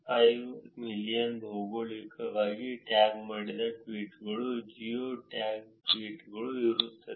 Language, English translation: Kannada, 5 million geographically tagged tweets geo tag tweets